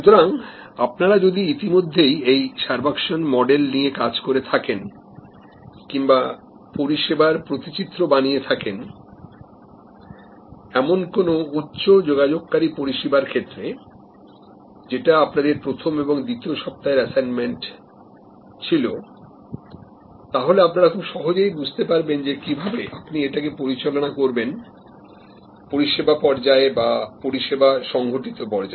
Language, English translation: Bengali, So, if you have already done the servuction model work or the service blue print work for one of these high contact services as your assignment in week 1, week 2, then this will become quite clear to you that how you need to manage the in service stage or the service occurrence stage